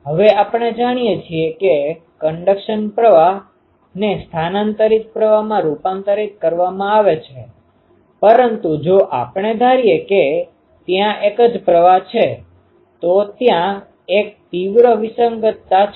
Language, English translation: Gujarati, Now, we know that it goes to con ah conduction current gets transferred to displacement current, but if throughout we assume there is same current, then there is a severe discontinuity there